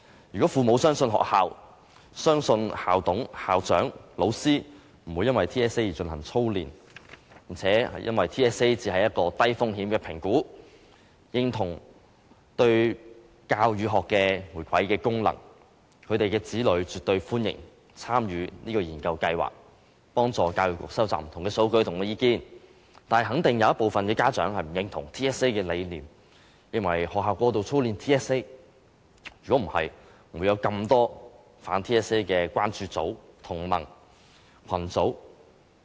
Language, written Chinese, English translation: Cantonese, 如果父母相信學校，相信校董、校長、老師不會因為 TSA 而進行操練，並認為 TSA 只是一個低風險的評估，認同其對教與學的回饋和功能，他們會絕對歡迎子女參與這項研究計劃，幫助教育局收集不同的數據及意見，但肯定有一部分家長不認同 TSA 的理念，認為學校過度操練 TSA， 否則不會有這麼多反 TSA 的關注組、同盟和群組。, If parents trust that the schools the school management committees the principals and the teachers will not drill the students because of TSA; if parents consider that TSA is just a low - risk assessment and endorse the contributions and functions of TSA they will definitely allow their children to participate in this research study so as to help the Education Bureau collect various data and views . Nevertheless I am sure that some parents do not endorse the philosophy of TSA and believe that schools will drill students excessively for getting good results . Otherwise why are there so many concern groups alliances and groups which oppose TSA?